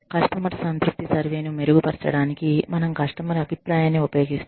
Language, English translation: Telugu, We use customer feedback, to improve customer satisfaction survey